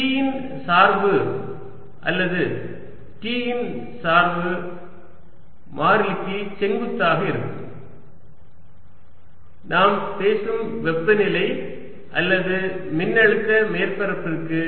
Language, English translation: Tamil, then the gradient of v or gradient of t is going to be perpendicular to the constant property we are talking about: temperature or potential surface